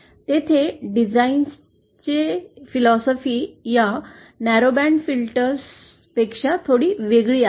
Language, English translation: Marathi, There the design philosophy is somewhat different from these narrowband filters